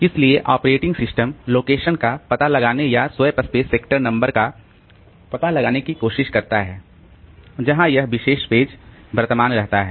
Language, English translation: Hindi, So, the operating system tries to find out the location or find out the space sector number where the particular page is located